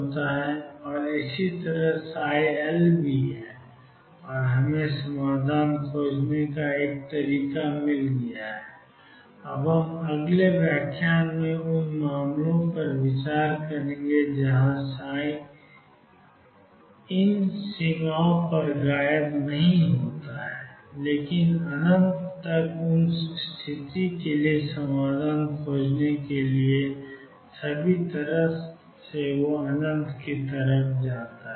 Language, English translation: Hindi, So, psi 0 is 0 and so is psi L and we found a way of finding the solution, we will now in the next lecture consider cases where psi it is not vanishes at these boundaries, but goes all the way to infinity out find solutions for those situation